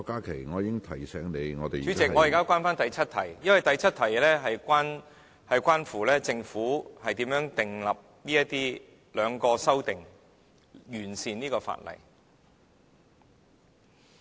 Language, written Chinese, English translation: Cantonese, 主席，我現在返回第7條，因為第7條是關乎政府如何訂立兩項修正案，以完善《條例草案》。, Chairman I am returning to Clause 7 . Because Clause 7 is about how the two groups of amendments are formulated in order to improve the Bill